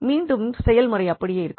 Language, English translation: Tamil, So, here again we will apply the same principle